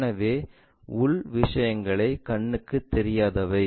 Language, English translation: Tamil, So, internal things are invisible